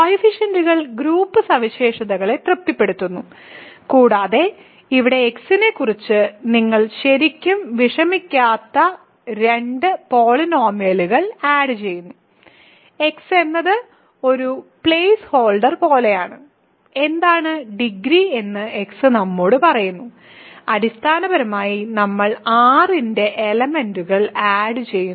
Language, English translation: Malayalam, So, coefficients satisfy group properties and here to add two polynomials you are really not worrying about x; x is just like a place holder, x tells us what is the degree that is all and essentially we are adding elements of R